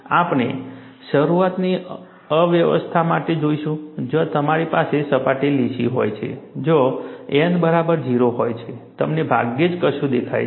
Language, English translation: Gujarati, We will see for the initial state, where you have the surface is smooth, where N equal to 0, you hardly see anything; you just see only one dot